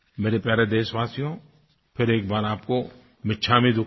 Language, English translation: Hindi, My dear countrymen, once again, I wish you "michchamidukkadm